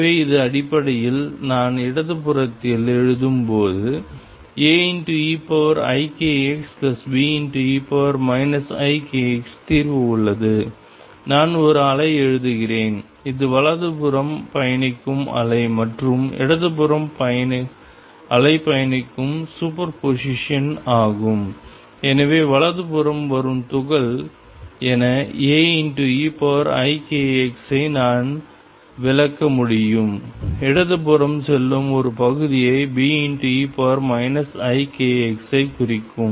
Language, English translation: Tamil, So, this is basically when I write on the left hand side the solution has A e raised 2 i k x plus B e raised to minus i k x, I am writing a wave which is superposition of wave travelling to the right and wave travelling to the left and therefore, I could interpret A e raised to i k x as representing particles coming to the right and B e raised to minus k x as representing part of these going to the left